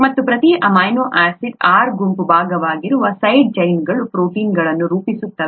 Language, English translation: Kannada, And the side chains that are part of each amino acid R group that constitute the protein